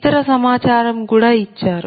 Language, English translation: Telugu, other data are also given